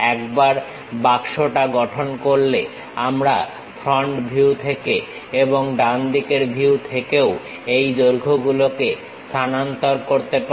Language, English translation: Bengali, Once box is constructed, we can transfer these lengths from the front view and also from the right side view